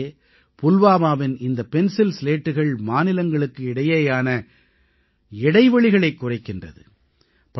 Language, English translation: Tamil, In fact, these Pencil Slats of Pulwama are reducing the gaps between states